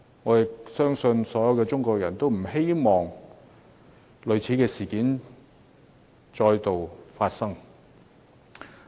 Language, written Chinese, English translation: Cantonese, 我相信所有中國人都不希望類似事件再發生。, I think no Chinese people would like to see the recurrence of similar incidents